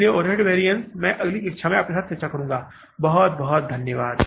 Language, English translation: Hindi, So, overhead variances I will discuss with you in the next class